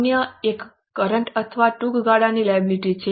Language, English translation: Gujarati, The other one is current or a short term liability